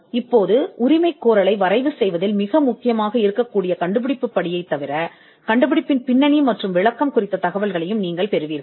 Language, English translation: Tamil, Now, apart from the inventive step which would be critical in drafting the claim, you will also get information on description and background of the invention